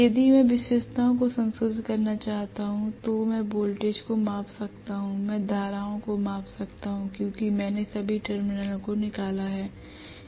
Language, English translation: Hindi, If I want to modify the characteristics, I can measure the voltages, I can measure the currents because I have brought out the all the terminals